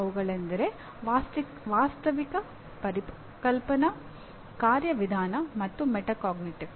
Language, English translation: Kannada, These are Factual, Conceptual, Procedural, and Metacognitive